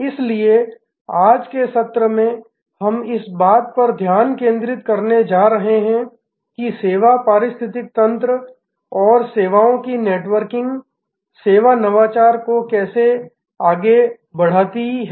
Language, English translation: Hindi, So, today's session we are going to focus on how the service ecosystem and networking of services lead to service innovation